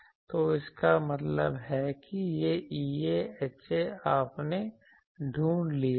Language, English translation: Hindi, So, that means, this E A, H A, you have found out